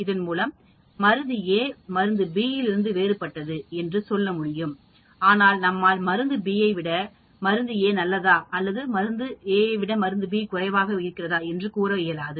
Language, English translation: Tamil, Drug A is different from drug B; that means, we are not telling whether drug A is better than drug B or drug A is less than drug B, but we are just saying drug A is different from drug B